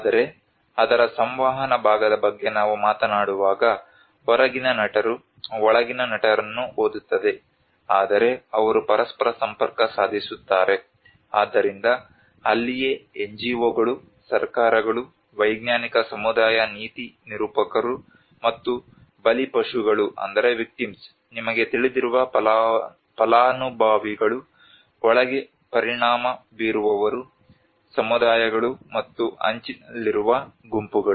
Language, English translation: Kannada, Whereas a dialogue when we talk about the communication part of it read inside actors outside actors actually they interface with each other, so that is where the NGOs the governments, the scientific community the policymakers and also the victims, the beneficiaries you know who are the inside actors the communities and the marginalized groups